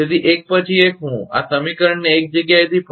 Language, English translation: Gujarati, So, one by one I will rewrite this equation in one place